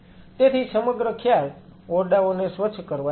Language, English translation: Gujarati, So, the whole concept is like a clean room